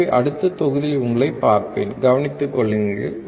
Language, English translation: Tamil, So, I will see you in the next module, take care